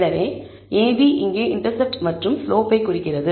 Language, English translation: Tamil, So, ab here refers to the intercept and slope